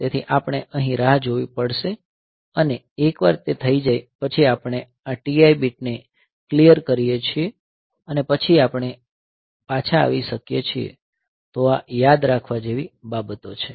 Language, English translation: Gujarati, So, we have to wait here and once it is done, so we come, we clear this TI bit and then we can return, so these are the things to be remembered